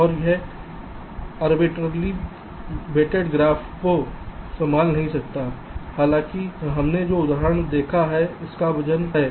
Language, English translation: Hindi, and it cannot handle arbitrarily weighted graph, although the example that we have seen has weight